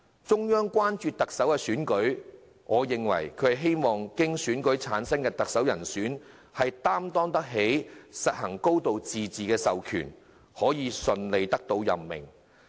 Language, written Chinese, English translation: Cantonese, 中央之所以關注特首選舉，我認為是希望經選舉產生的特首，能擔當起實行"高度自治"的授權，可以順利得到任命。, As I see it the reason why the Central Government is concerned about the Chief Executive Election is that it hopes the Chief Executive returned by election will be capable of shouldering the mandate of implementing a high degree of autonomy and can be appointed smoothly